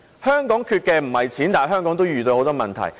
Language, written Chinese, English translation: Cantonese, 香港並非缺錢，但仍遇到很多問題。, Hong Kong is not short of money but we are nevertheless plagued by many problems